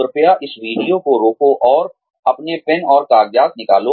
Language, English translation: Hindi, Please, pause this video, and take out your pens and papers